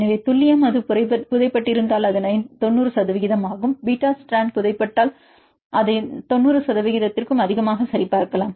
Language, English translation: Tamil, So, accuracy it is about a 90 percent if it is a buried, even the case of beta strand if it is buried then you can check it a more than 90 percent